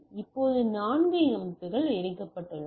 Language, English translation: Tamil, Now with the four systems are connected